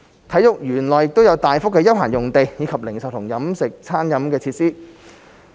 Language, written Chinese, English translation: Cantonese, 體育園內亦有大幅的休憩用地，以及零售和餐飲設施。, There is also a large open space as well as retail and catering facilities in the sports park